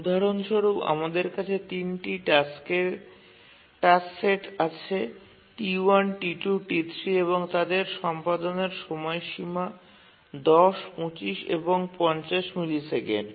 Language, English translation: Bengali, We have a task set of three tasks T1, T2, T3, and their execution times are 10, 25 and 50 milliseconds, periods are 50, 150, and 200